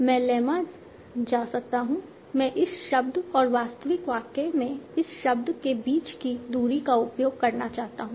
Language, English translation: Hindi, I might want to use what is the distance between this word and this word in the actual sentence